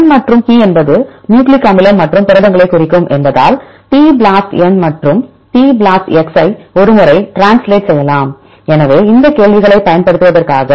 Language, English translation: Tamil, Because n and p stands for nucleic acids and the proteins we can also do the translated once the tBLASTn and the tBLASTx, so for using these queries